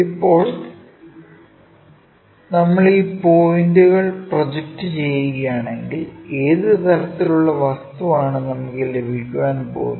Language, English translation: Malayalam, If that is the case if we are projecting these points, what kind of object we are going to get